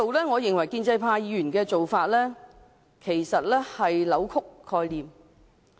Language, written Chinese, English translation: Cantonese, 我認為建制派議員的做法，其實是在扭曲概念。, In my view the proposal of pro - establishment Members is actually a defiance of the relevant concept